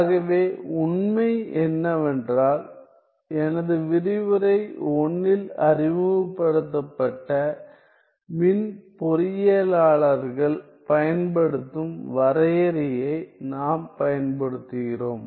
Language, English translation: Tamil, So, the fact is that, we are using the definition used by the electrical engineers that was introduced in my lecture 1